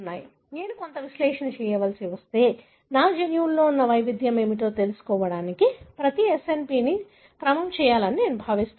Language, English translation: Telugu, So, if I have to do some analysis, am I expected to sequence every SNP to find what is the variation that is there in my genome